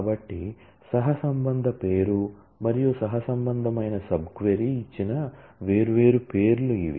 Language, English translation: Telugu, So, these are the different names given the correlation name and the correlated sub query